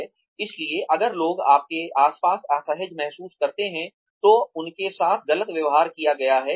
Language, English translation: Hindi, So, if people feel uncomfortable around you, they have been treated, unfairly